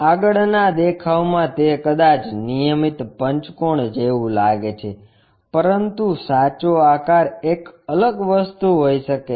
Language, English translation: Gujarati, In the front view, it might look like a regular pentagon, but true shape might be different thing